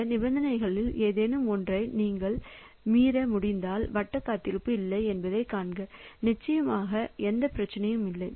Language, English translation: Tamil, So, if you can violate any of these conditions if the circular weight is not there then of course there is no problem